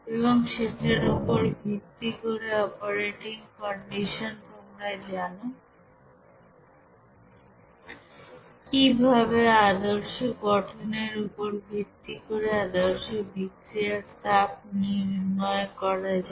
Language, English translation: Bengali, And also based on that you know operating condition how to calculate the standard heat of reaction based on the standard heat of formation